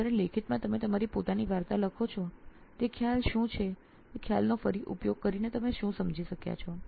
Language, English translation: Gujarati, Whereas in writing you write your own story what that concept what did you understand using that concept